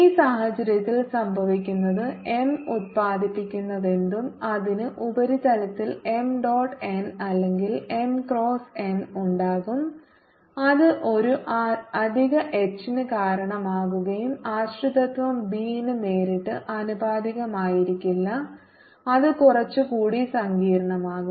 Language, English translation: Malayalam, in this case, what would happen is that whatever m is produced, it'll also have m dot n or m cross n at the surfaces, and that will give rise to an additional h and the dependence will not be directly proportional to b, so that will be slightly more complicated